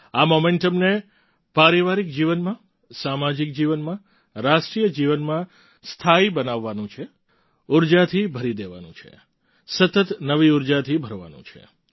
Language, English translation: Gujarati, In family life, in social life, in the life of the Nation, this momentum has to be accorded permanence…infusing it with energy…replenishing it with relentless new energy